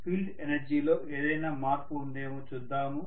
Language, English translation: Telugu, Let us try to look at whether there is any change in the field energy